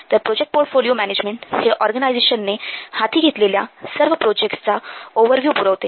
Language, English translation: Marathi, So, this project portfolio management, it provides an overview of all the projects that an organization is undertaking